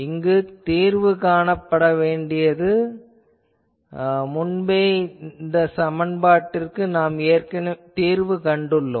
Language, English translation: Tamil, So, this needs to be solved, but you know this, already we have solved this equation earlier